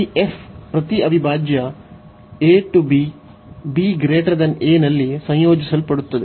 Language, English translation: Kannada, So, this f is integrable on each integral a to b